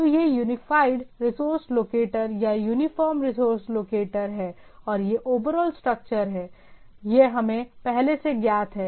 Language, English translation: Hindi, So it is a Unified Resource Locator or uniform resource locator and we this is the overall structure, this is already known to us